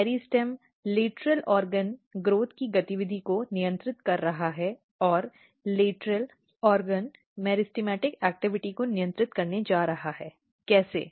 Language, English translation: Hindi, So, meristem is controlling the activity of lateral organ growth and lateral organ is going to control the meristematic activity, how